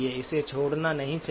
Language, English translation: Hindi, Should not omit it